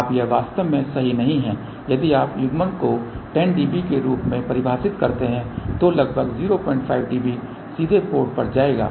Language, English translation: Hindi, Now that is not correct actually if you define coupling as 10 db then approximately 0